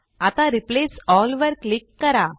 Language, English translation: Marathi, Now click on Replace All